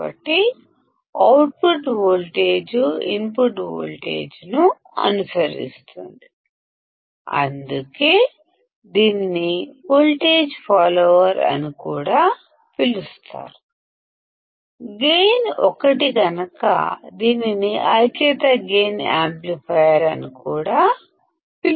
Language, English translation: Telugu, So, output voltage follows the input voltage that is why it is also called voltage follower; the gain is 1 that is why is it is also called unity gain amplifier